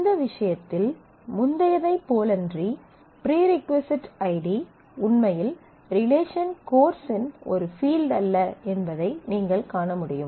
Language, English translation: Tamil, So, in this case, if you can see that unlike the earlier case the prereq id is not actually a field of this relation course